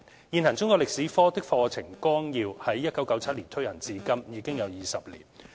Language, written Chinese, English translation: Cantonese, 現行中國歷史科的課程綱要於1997年推行至今，已有20年。, Since its promulgation in 1997 the existing Syllabuses for Secondary Schools―Chinese History have been implemented for 20 years